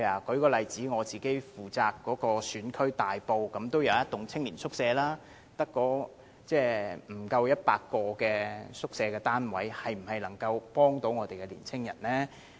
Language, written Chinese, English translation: Cantonese, 舉例說，在我負責的大埔也有一幢青年宿舍，但宿舍單位數目不足100個，這是否能夠協助年青人呢？, For instance in Tai Po which is within my constituency there is also a youth hostel tower but it provides less than 100 hostel units . Can this be of any help to young people?